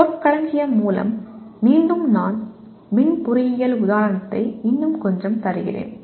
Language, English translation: Tamil, Terminology will mean again I am giving a bit more of electrical engineering example